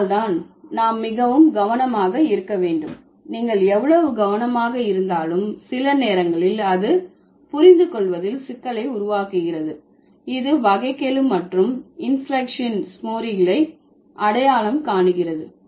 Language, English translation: Tamil, So, that's the reason we need to be very careful and no matter how careful you become, sometimes it creates problem in understanding to identify derivational and the inflectional morphemes